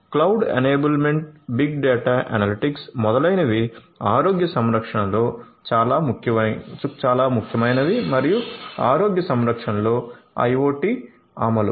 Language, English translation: Telugu, So, cloud enablement big data analytics etcetera are very important in healthcare and IoT implementation in healthcare